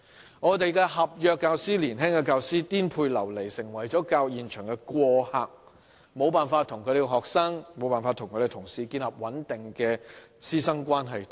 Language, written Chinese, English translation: Cantonese, 年輕的合約教師顛沛流離，成為了教育現場的過客，無法與學生和同事建立穩定的關係。, Young contract teachers are rootless; they have become passers - by in the field of education and failed to establish stable relationships with their students and colleagues